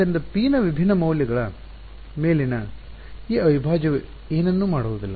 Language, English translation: Kannada, So, this integral over different values of p does not do anything